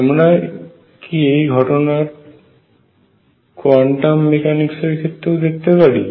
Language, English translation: Bengali, Should we expect the same thing in quantum mechanics